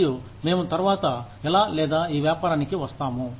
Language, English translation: Telugu, And, we will come to this, how or what business, later